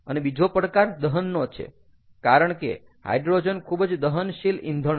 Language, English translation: Gujarati, and the other challenge is combustion, because hydrogen is highly combustible fuel